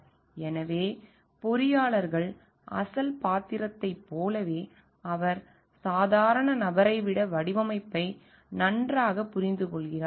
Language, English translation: Tamil, So, like the original role of the engineer is because he understands designing much better than the lay person